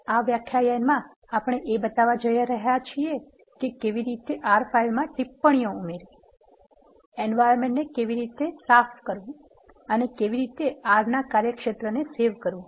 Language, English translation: Gujarati, In this lecture we are going to show how to add comments to the R file, how to clear the environment and how to save the workspace of R now let us first look at how to add comments to the R file